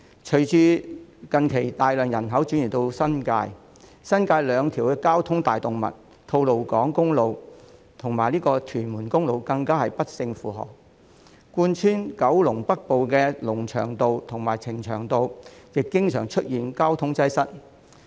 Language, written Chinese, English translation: Cantonese, 隨着近年大量人口移入新界，新界兩條交通大動脈——吐露港公路及屯門公路——更不勝負荷；貫穿九龍北部的龍翔道和呈祥道亦經常出現交通擠塞。, With a large number of people having moved into the New Territories in recent years the two major traffic arteries of the New Territories namely the Tolo Highway and Tuen Mun Road are even more overloaded . Traffic congestion is also frequent on Lung Cheung Road and Ching Cheung Road which run through northern Kowloon